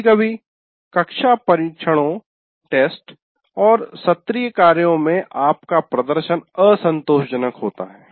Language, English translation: Hindi, And sometimes you have unsatisfactory performance in the class tests and assignments